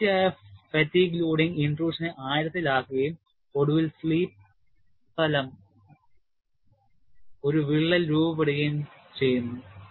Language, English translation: Malayalam, Continued fatigue loading deepens the intrusion and eventually, the formation of a crack, along the slip plane